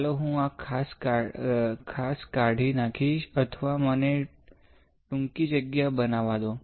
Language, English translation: Gujarati, So, let me remove this particular or let me make a short space